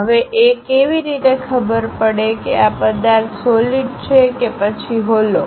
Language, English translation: Gujarati, How to know, whether it is a solid object or a hollow one